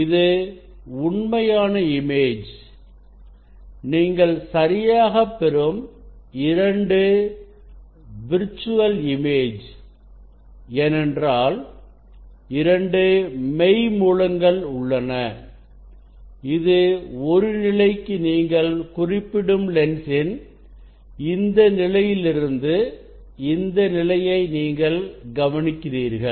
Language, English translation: Tamil, this is the real image, two image you are getting ok, because there are two virtual source, there are two virtual source this is for one position you note this position from this from this position of the lens you note down